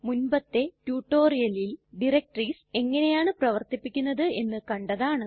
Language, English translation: Malayalam, In a previous tutorial we have already seen how to work with directories